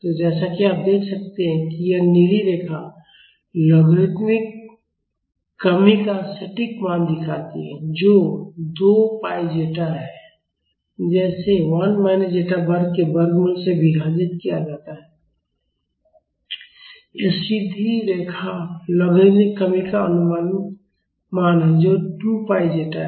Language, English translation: Hindi, So, as you can see this blue line shows the exact value of logarithmic decrement which is 2 pi zeta divided by square root of 1 minus zeta square and this straight line is the approximate value of the logarithmic decrement which is 2 pi zeta